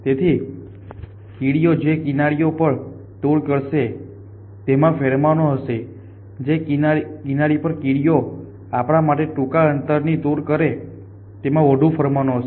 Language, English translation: Gujarati, So, edges on which ants will travel will have pheromone edges on which ants will travel to fine short to us will have more pheromone